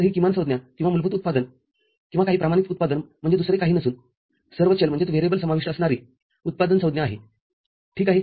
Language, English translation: Marathi, So, this minterm or fundamental product or some standard product is nothing but a product term containing all the variables ok